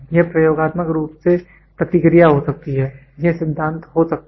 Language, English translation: Hindi, This can be experimentally response, this can be theory